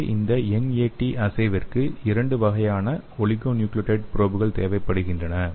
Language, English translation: Tamil, so here this NAT assay requires two types of oligonucleotide probes